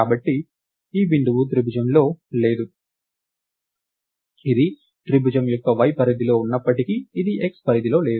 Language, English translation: Telugu, So, this point is not within the triangle, even though its within the y range of the triangle, it is not in the x range